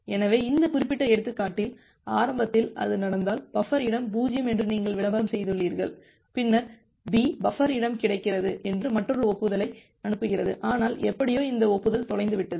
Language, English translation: Tamil, So, in this particular example, if it happens that well initially, you have advertised that the buffer space is 0, then B sends another acknowledgement saying that the buffer space is available, but somehow this acknowledgement got lost